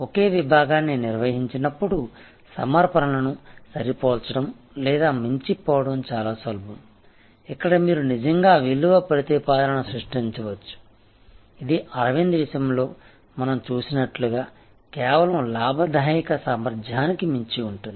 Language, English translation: Telugu, It is easier to match or exceed offerings when it is directed to the same segment, this is where you can actually create a value proposition, which goes for beyond the mere profit potential as we saw in case of Arvind